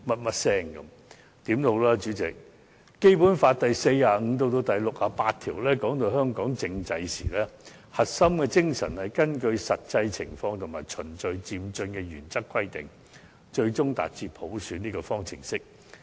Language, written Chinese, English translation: Cantonese, 無論如何，主席，《基本法》在第四十五條至第六十八條談到香港政制時，核心精神是以根據實際情況和循序漸進的原則而規定，最終達至普選這個方程式來進行。, President no matter what the core spirit of Articles 45 to 68 of the Basic Law concerning the political structure of Hong Kong is that any constitutional reform must be conducted in the light of the actual situation and in accordance with the principle of gradual and orderly progress with an ultimate aim to achieve universal suffrage